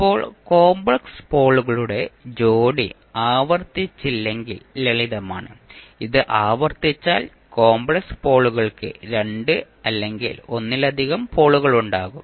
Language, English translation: Malayalam, Now, pair of complex poles is simple, if it is not repeated and if it is repeated, then complex poles have double or multiple poles